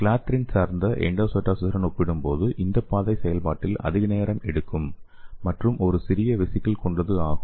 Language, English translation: Tamil, So compared to the clathrin dependent endocytosis, this pathway takes longer time and a smaller vesicles in the process